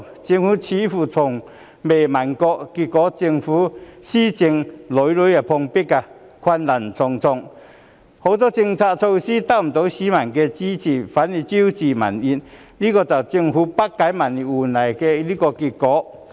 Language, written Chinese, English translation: Cantonese, 政府似乎從未過問，結果政府施政屢屢碰壁，困難重重，很多政策措施得不到市民的支持，反而招致民怨，這就是政府不解民意換來的結果。, It seems that the Government has never asked these questions . As a result the Government has repeatedly encountered obstacles and difficulties in its governance . Not only have its policy measures failed to win the support of the people but have even aroused public resentment